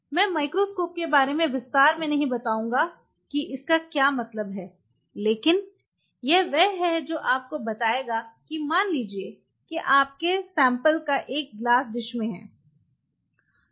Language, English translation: Hindi, I am now getting the microscope detail what does that mean, but that is the one which will tell you that suppose your samples are in a glass dish